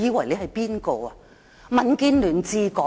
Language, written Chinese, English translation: Cantonese, 現在是民建聯治港嗎？, Is DAB ruling Hong Kong now?